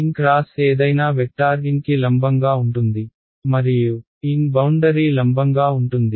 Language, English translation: Telugu, n cross any vector will be perpendicular to n and n is perpendicular to the boundary